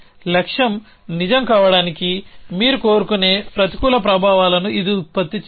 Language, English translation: Telugu, There it not produces any negative effects which you want in the goal to be true